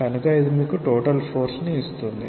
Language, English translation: Telugu, So, that will give you the total force